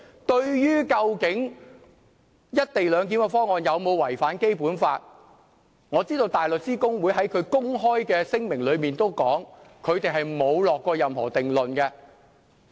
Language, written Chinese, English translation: Cantonese, 對於"一地兩檢"的方案有否違反《基本法》，我知道大律師公會在聲明公開指出，它沒有下任何定論。, In regard to whether the co - location arrangement is in contravention of the Basic Law or not I know that the Bar Association has openly highlighted in its statement that it has not given any conclusion